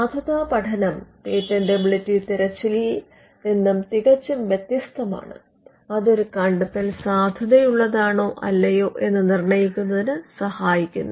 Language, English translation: Malayalam, A validity study is much different from a patentability search, and it involves determining whether an invention is valid or not